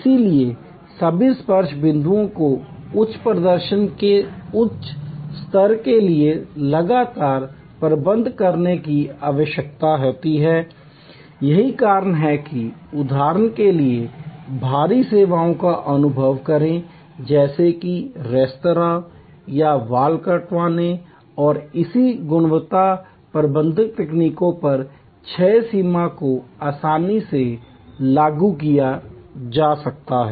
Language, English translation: Hindi, So, all the touch points need to be managed continuously for that level of high performance that is why for example, experience heavy services, like restaurants or haircuts and so on quality management techniques likes six sigma can be quiet gainfully applied